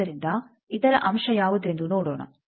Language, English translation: Kannada, So, let us see what is the other point